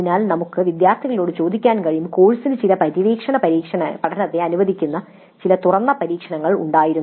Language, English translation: Malayalam, So we can ask the students the course had some open ended experiments allowing some exploratory learning